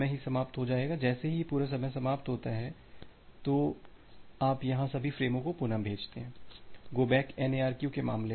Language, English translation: Hindi, So, once this timeout for 2 will occur, you retransmit all the frames here so, in case of go back N ARQ